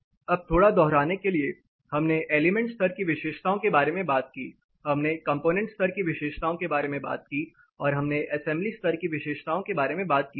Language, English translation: Hindi, Now, you know to brush up little bit more we talked about element level property, we will talked about component level property and we also talked about assembly level property